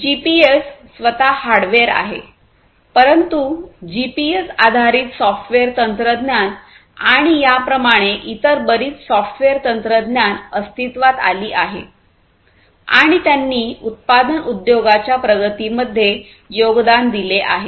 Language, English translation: Marathi, So, GPS; GPS itself is hardware, but you know the GPS based software technologies and like this there are many other software technologies that have emerged and have contributed to the advancement of manufacturing industries